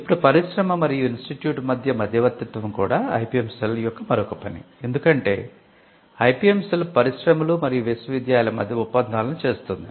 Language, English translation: Telugu, Now mediating between industry and the institute is also another function of the IPM cell because, the IPM cell acts as a body that can bring the industry